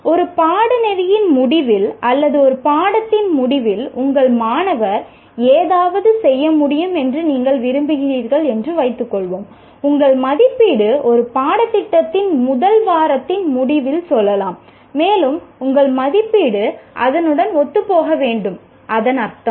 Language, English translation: Tamil, Let us assume that you want your student to be able to do something at the end of a course or at the end of a, let's say by the end of first week in a course and so on, your assessment should be in alignment with that